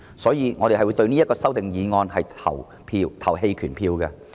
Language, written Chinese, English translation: Cantonese, 所以，我們會就此項修訂議案投棄權票。, We will therefore abstain on this amending motion